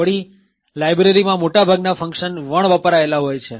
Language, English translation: Gujarati, Furthermore, most of the functions in the library are unused